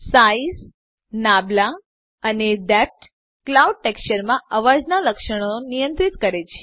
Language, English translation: Gujarati, Size, Nabla and depth control the characteristics of the noise in the clouds texture